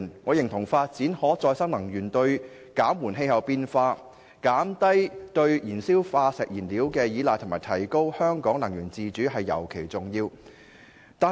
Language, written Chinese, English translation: Cantonese, 我認同發展可再生能源對於減緩氣候變化、減低對燃燒化石燃料的依賴及提高香港能源自主尤其重要。, I agree that the development of renewable energy is particularly important to slow down climate change reduce our reliance on fossil fuels and strengthen Hong Kongs energy independence